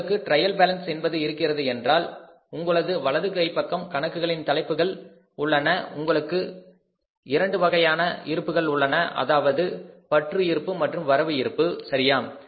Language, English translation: Tamil, Means if you have the trial balance in the trial balance you have the heads of accounts on the right and side you have two balances debit balance and credit balance